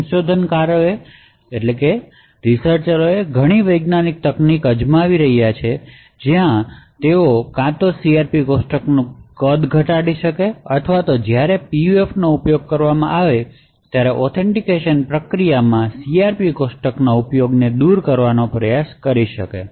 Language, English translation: Gujarati, So researchers have been trying several alternate techniques where they could either reduce the size of the CRP tables or alternatively try to eliminate the use of CRP tables in the authentication process when PUFs are used